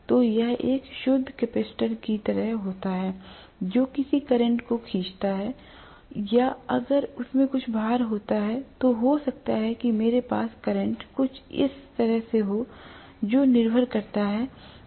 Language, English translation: Hindi, So it is like a pure capacitor drawing a current or if it is having some amount of load, then I may have a current somewhat like this, depending upon